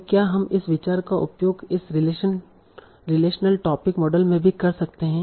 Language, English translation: Hindi, Now, can we use the same idea in this relation topic models also